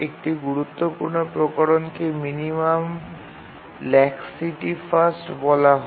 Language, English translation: Bengali, One important variation is called as a minimum laxity first